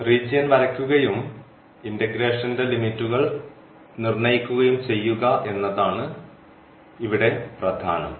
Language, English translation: Malayalam, So, the important is drawing the region and putting the limits of the integration